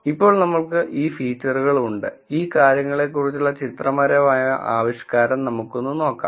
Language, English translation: Malayalam, Now that we have these feature, we go back to our pictorial understanding of these things